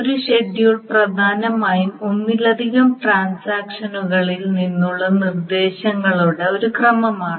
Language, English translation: Malayalam, A schedule is essentially a chronological sequence of instructions from multiple transactions